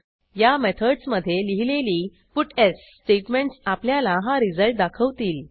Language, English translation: Marathi, A puts statement defined within these methods gives the results you see